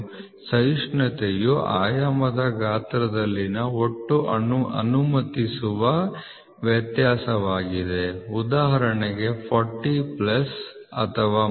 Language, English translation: Kannada, What is tolerance the tolerance is the total permissible variation in the size of dimension, for example 40 plus or minus 0